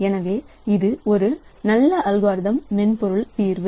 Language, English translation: Tamil, So, this is a good algorithmic software solution